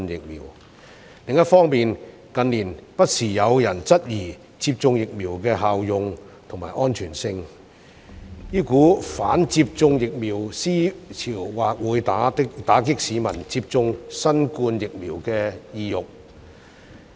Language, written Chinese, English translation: Cantonese, 另一方面，近年不時有人質疑接種疫苗的效用及安全性，這股"反接種疫苗"思潮或會打擊市民接種新冠疫苗的意欲。, On the other hand queries concerning the efficacy and safety of vaccination have been raised from time to time in recent years and such anti - vaccination thinking may dampen the publics desire for being administered the COVID - 19 vaccines